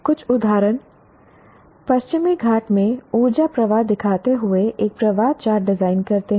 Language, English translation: Hindi, Design a flow chart showing the energy flow in Western Ghats